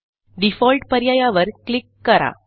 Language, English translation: Marathi, Next, click on the Default option